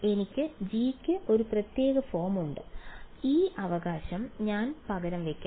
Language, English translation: Malayalam, I have a special form for G I will just substitute that right